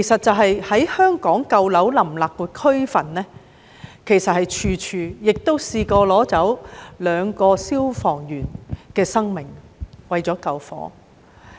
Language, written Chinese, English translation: Cantonese, 在香港舊樓林立的區份，其實處處都有這些被奪走的人命，也有兩個消防員為了救火而被奪去性命。, In fact in various districts across the territory which are packed with old buildings fires have claimed deaths here and there and two firefighters have also been killed in blaze